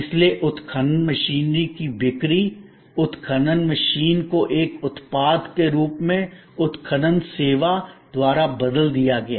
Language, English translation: Hindi, So, the sale of the excavation machine, excavator machine as a product was replaced by excavation service